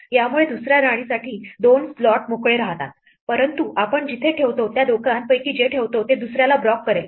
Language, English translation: Marathi, This leaves two slots open for the second queen, but wherever we put, whichever of the two we put, it will block the other one